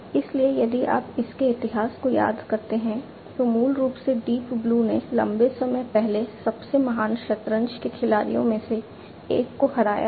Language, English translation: Hindi, So, if you recall you know its history now, that Deep Blue, basically defeated one of the greatest chess players long time back